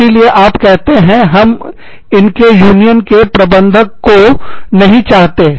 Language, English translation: Hindi, So, you say, we do not want a union steward